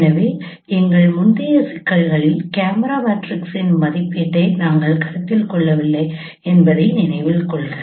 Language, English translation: Tamil, So note that in our previous problems we have not considered estimation of camera matrices